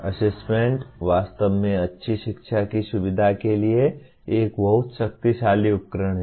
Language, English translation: Hindi, Assessment is really a very powerful tool to facilitate good learning